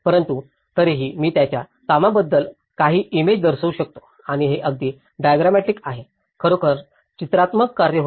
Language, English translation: Marathi, But still, I could show you some images of what his work and it was very diagrammatic and really illustrative work